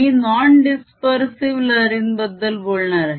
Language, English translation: Marathi, i am going to talk about non dispersive waves